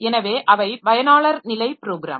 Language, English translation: Tamil, So they are user level programs